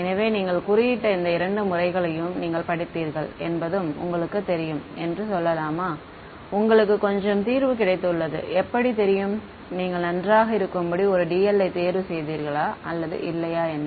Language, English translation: Tamil, So, let us say you have you know you studied these two methods you coded them up and you got some solution; how do you know whether you chose a dl to be fine enough or not